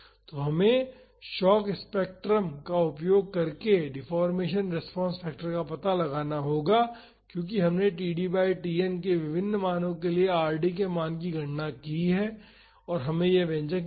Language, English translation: Hindi, So, we have to find the deformation response factor using the shock spectrum, because we have calculated the value of Rd for different values of td by Tn we found that expression